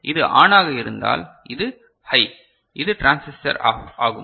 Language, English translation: Tamil, So, if this is on, this is high then this transistor will be off